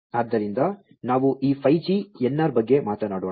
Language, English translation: Kannada, So, let us talk about this 5G NR